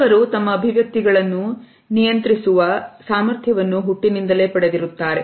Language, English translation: Kannada, Some people are born with the capability to control their expressions